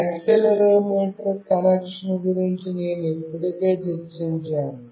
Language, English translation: Telugu, I have already discussed about the accelerometer connection